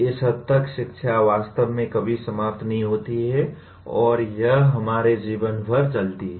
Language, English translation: Hindi, To this extent education never really ever ends and it runs throughout our lives